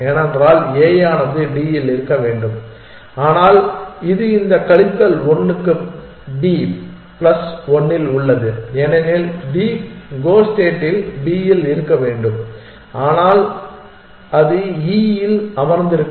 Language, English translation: Tamil, The start state we will have plus 1 for this plus 1 for this minus 1 for this because a should be on D, but it is on b plus 1 for this minus 1 for this because d should be on b in the goal state, but it is sitting on e